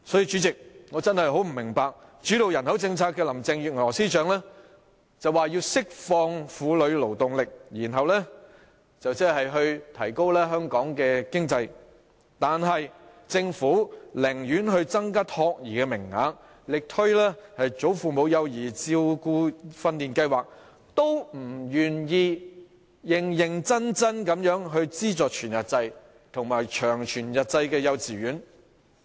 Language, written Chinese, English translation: Cantonese, 主席，我真的不明白，主導人口政策的林鄭月娥司長說要釋放婦女勞動力，以推動香港的經濟，但政府寧願增加託兒名額，力推"為祖父母而設的幼兒照顧訓練課程試驗計劃"，都不願意認真地資助全日制及長全日制幼稚園。, President I am honestly perplexed as to why the Government would rather increase the number of child care places and vigorously promote the Pilot Project on Child Care Training for Grandparents than seriously subsidize whole - day and long whole - day kindergartens given that Chief Secretary Carrie LAM who steers the population policy has talked about unleashing the female labour force to foster the economy of Hong Kong